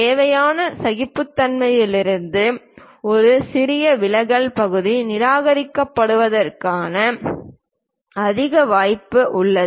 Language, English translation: Tamil, A small deviation from the required tolerances there is a high chance that part will be get rejected